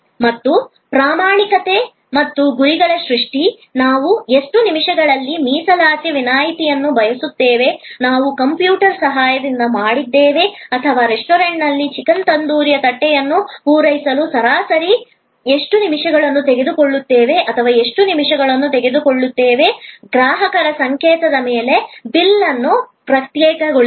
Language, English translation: Kannada, And creation of standard and targets; that in how many minutes we want a reservation request, we done with the help of computer or how many minutes it takes on a average to serve a plate of chicken tandoori in a restaurant or how many minutes it takes as to process a bill, after the customer signals